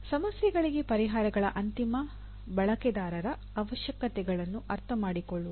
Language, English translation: Kannada, Understand the requirements of end users of solutions to the problems